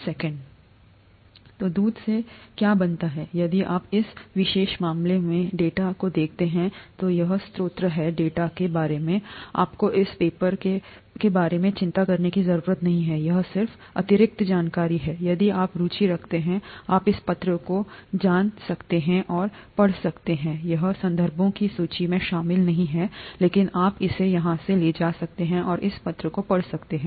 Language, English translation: Hindi, So what does milk consist of, if you look at the data in this particular case, this is the source of the data, you don’t have to worry about this paper is this just additional information, if you’re interested you can go and read this paper, it is not included in the list of references, but you could take it from here and read this paper